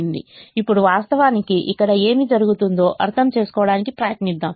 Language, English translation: Telugu, now let's try to understand what is actually happening here through through this